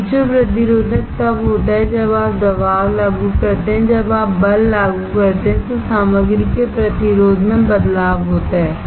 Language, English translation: Hindi, Piezo resistive is when you apply pressure, when you apply force there is a change in the resistance of the material